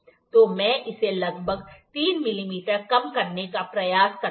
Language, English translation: Hindi, So, let me try to reduce it by about 3 mm